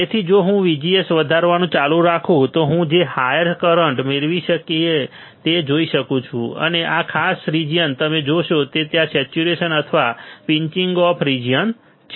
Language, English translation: Gujarati, So, if I keep on increasing my VGS I can see the higher current we can obtain, and this particular region you will see that there is a saturation or pinch off region right